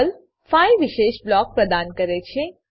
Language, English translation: Gujarati, Perl provides 5 special blocks